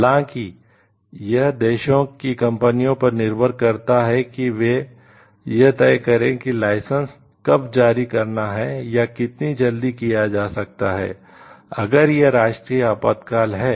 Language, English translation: Hindi, However, it depends on the companies in the countries to when to give the licenses and it had been granted or to determine like if it is a situation of national emergency, then how quickly it can be done